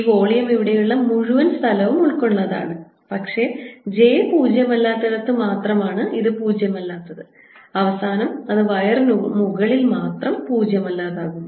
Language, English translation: Malayalam, this is volume over the entire universe or entire space here, but is non zero only where j is non zero and therefore in the end it becomes non zero only over the wire